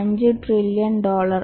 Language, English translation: Malayalam, 5 trillion dollars